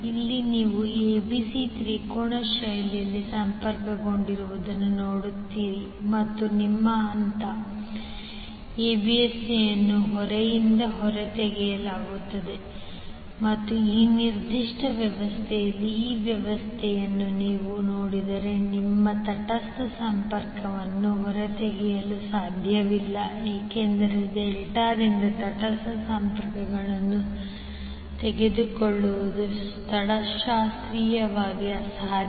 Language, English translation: Kannada, Here you will see ABC are connected in triangular fashion and your phase ABC is taken out from the load and if you see this particular arrangement in this particular arrangement you cannot take the neutral connection out because it is topologically impossible to take the neutral connection from the delta connected load